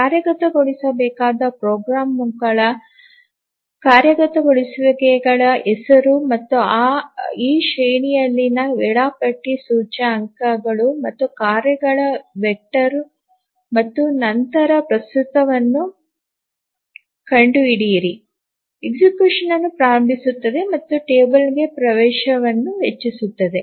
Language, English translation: Kannada, So, just name of the programs executables that to be executed and the scheduler just indexes in this array of the vector of tasks and then finds out the current one, initiates execution and increments the entry to the table